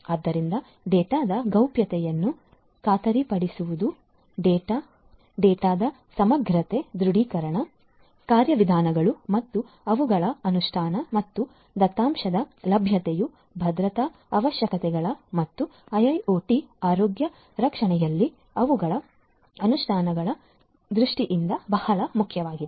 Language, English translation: Kannada, So, ensuring the confidentiality of the data, integrity of the data, authentication mechanisms and their implementation and availability of the data are very important in terms of security requirements and their implementations in IIoT healthcare